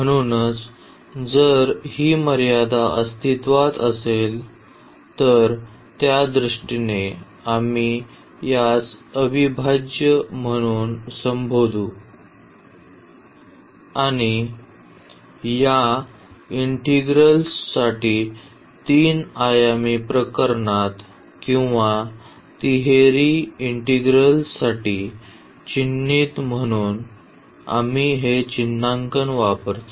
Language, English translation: Marathi, So, taking if this limit exists as n approaches to infinity in that case we call this as integral and the notation for this integral in the 3 dimensional case or for the triple integral we use this notation